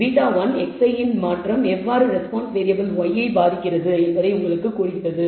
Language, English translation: Tamil, So, beta one tells you how a change in x i affects the response variable y